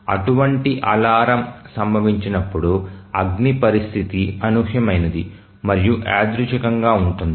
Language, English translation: Telugu, So, when such an alarm will occur, a fire condition is unpredictable